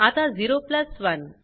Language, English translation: Marathi, Now 0 plus 1